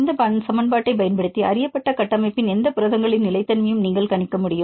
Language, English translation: Tamil, And then using this equation, you can predict the stability of any proteins of known structure